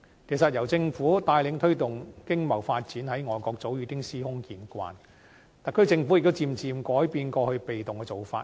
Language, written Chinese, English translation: Cantonese, 其實，由政府帶領推動經貿發展，在外國早已司空見慣，特區政府亦漸漸改變過去被動的做法。, In fact it is a common practice in foreign countries that the government would assume a leading role in promoting economic and trade development and the SAR Government has gradually changed the passive approach adopted in the past